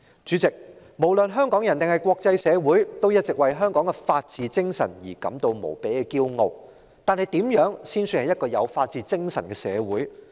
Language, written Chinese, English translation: Cantonese, 主席，不論是香港人或是國際社會，大家一直為香港的法治精神感到無比自豪，但怎樣才算是一個有法治精神的社會呢？, President all along the people of Hong Kong as well as the international community have been immensely proud of the spirit of the rule of law in Hong Kong . Yet how should we define a society where the spirit of the rule of law is upheld?